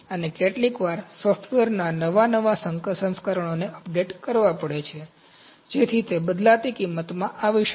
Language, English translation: Gujarati, And sometimes, the newer, new versions of the software have to be updated, so that might coming variable cost